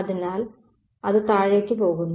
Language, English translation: Malayalam, So, it's going to drop